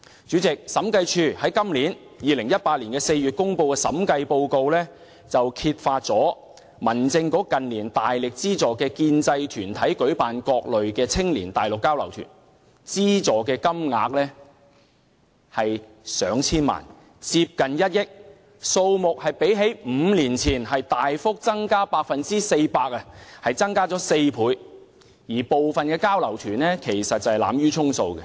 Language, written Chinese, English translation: Cantonese, 主席，審計署在今年2018年4月公布的《審計署署長報告書》中，揭發民政事務局近年大力資助建制派團體舉行各類青年內地交流團，資助金額逾1億元，較5年前大幅增加 400%， 但當中有部分交流團只屬濫竽充數。, Chairman it is revealed in the Director of Audits report released in April 2018 that the Home Affairs Bureau has been offering generous financial subsidies to support some pro - establishment bodies in organizing different types of youth exchange tours in the Mainland where the total amount of expenditure had exceeded 100 million representing an increase of 400 % as compared to that of 5 years ago . Yet some of the exchange tours were very much under - participated indeed